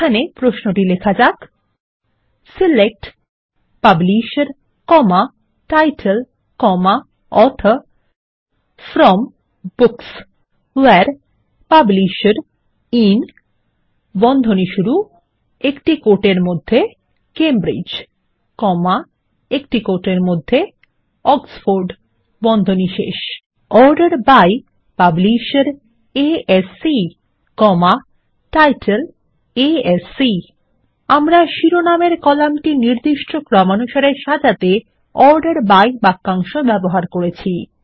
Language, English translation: Bengali, And here is the query: SELECT Publisher, Title, Author FROM Books WHERE Publisher IN ( Cambridge, Oxford) ORDER BY Publisher ASC, Title ASC So notice we have used the ORDER BY clause to specify Sorting on column names